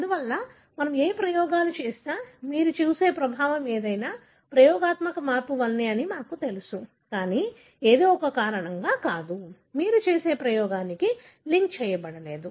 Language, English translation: Telugu, Therefore, we know that whatever experiments we do, whatever effect you see is because of the experimental change, but not because of something, not linked to the experiment that you do